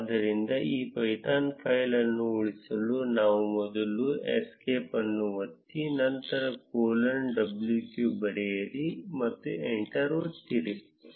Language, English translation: Kannada, So, to save this python file, we need to first press escape then write colon w q and press enter